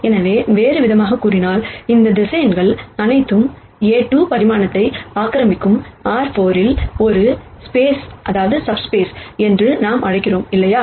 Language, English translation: Tamil, So, in other words all of these vectors would occupy a 2 dimensional, what we call as a subspace in R 4 right